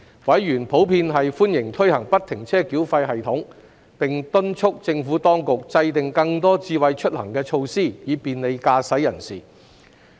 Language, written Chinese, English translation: Cantonese, 委員普遍歡迎推行不停車繳費系統，並敦促政府當局制訂更多"智慧出行"措施，以便利駕駛人士。, Members have generally expressed welcome to the implementation of FFTS and urged the Administration to develop more smart mobility initiatives to bring convenience to motorists . Regarding the phased implementation of FFTS by the Government ie